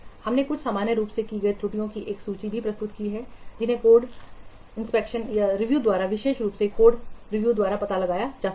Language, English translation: Hindi, We have also presented a list of some commonly made errors which can be detected by what code review, particularly by code inspection